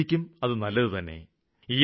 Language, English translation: Malayalam, It is good for the environment